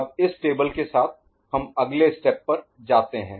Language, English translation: Hindi, Now, with this table in hand ok, we now move to next step